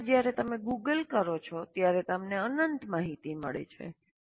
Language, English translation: Gujarati, Sometimes when you Google, you get endless number of, endless amount of information